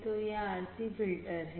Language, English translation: Hindi, So, this is the RC filter